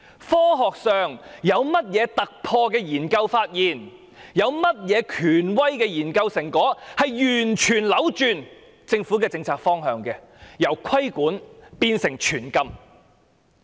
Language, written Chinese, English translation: Cantonese, 科學上有甚麼突破性的研究，有甚麼權威的研究成果，足以完全扭轉政府的政策方向，由作出規管變成全面禁止？, I also asked what breakthrough had been made in scientific researches and what authoritative research results had warranted a complete reversal of the Governments policy direction from regulation to comprehensive ban